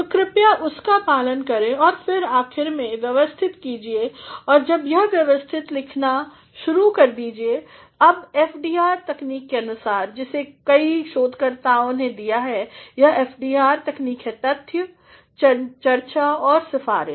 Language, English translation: Hindi, So, please follow that and then finally, organize and once it is organized start writing now making use of FDR technique, which many researchers have given this FDR technique is facts, discussion and recommendation